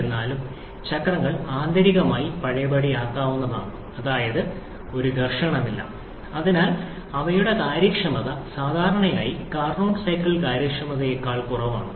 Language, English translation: Malayalam, However, the cycles are internally reversible that is there is no friction present and therefore their efficiencies generally are lower than the Carnot cycle efficiency